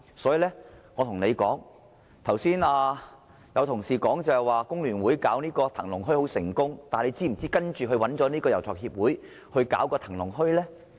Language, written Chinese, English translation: Cantonese, 所以，我要對他說，剛才有同事說香港工會聯合會把騰龍墟辦得很成功，但他是否知道它後來找了遊樂場協會營運騰龍墟呢？, I would also like to tell him some colleagues mentioned earlier that the Wong Tai Sin Dragon Market was successfully organized by The Hong Kong Federation of Trade Unions